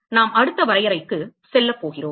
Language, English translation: Tamil, We are going to move to the next definition